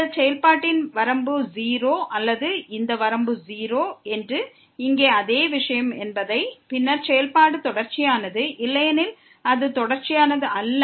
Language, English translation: Tamil, Whether the limit of this function is 0 or same thing here that the limit of this is 0; then, the function is continuous, otherwise it is not continuous